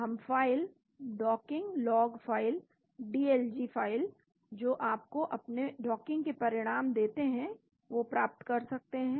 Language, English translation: Hindi, We can get files, docking log files, dlg files which give you the results of your docking